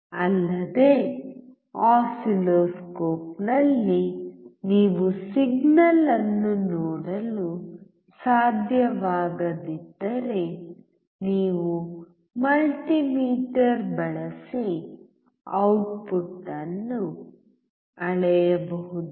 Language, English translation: Kannada, Also, if you cannot see the signal in the oscilloscope, you can measure the output using multimeter